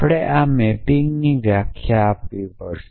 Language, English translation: Gujarati, So, we have to a define this mapping